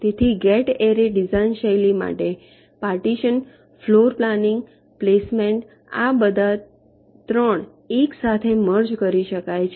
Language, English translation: Gujarati, so for gate array, design style, the partitioning, floorplanning, placement, all this three can be merged together